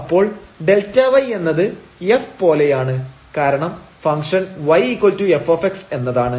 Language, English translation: Malayalam, So, this delta y is as f because the function is y is equal to f x